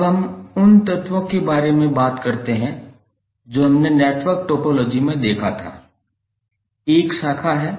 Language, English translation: Hindi, Now let us talk about the elements which we just saw in the network topology, one is branch